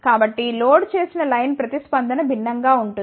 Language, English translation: Telugu, So, for the loaded line response will be different